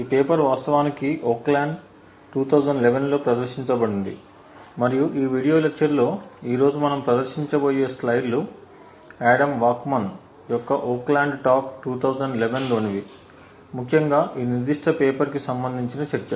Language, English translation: Telugu, This paper was actually presented in Oakland 2011 and a lot of the slides that we will be presenting today in this video lecture is by Adam Waksman’s Oakland talk in 2011 essentially the talk corresponding to this specific paper